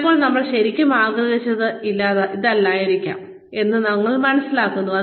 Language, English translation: Malayalam, Sometimes, we realize that, maybe, this is not, what we really wanted